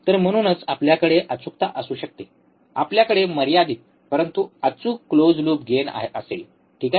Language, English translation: Marathi, So, that is why we can have accuracy, we will have finite, but accurate close loop gain, alright